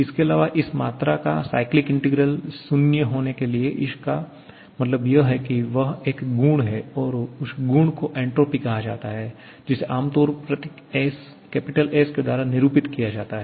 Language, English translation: Hindi, Also, cyclic integral of some quantity to be 0 does mean that that has to be a property and that property is called entropy, which is generally denoted by the symbol S